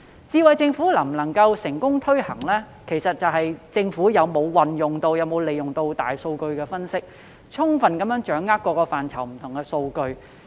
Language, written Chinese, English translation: Cantonese, "智慧政府"能否成功推行，其實視乎政府有否運用和利用大數據分析，充分掌握各個範疇的不同數據。, The successful implementation of Smart Government actually hinges on whether the Government is able to fully grasp different statistics in various domains through the application or use of big data analytics